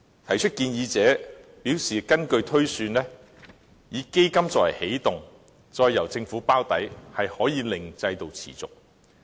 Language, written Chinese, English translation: Cantonese, 提出建議者表示，根據推算，以基金作為起動，再由政府"包底"，可以令制度持續。, Proponents of the proposal project that the system can be sustainable provided it is launched with a start - up capital and has its shortfall underwritten by the Government